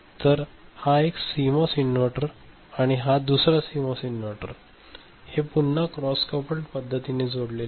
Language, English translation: Marathi, So, one CMOS inverter this is another CMOS inverter and this is again connected in a cross coupled manner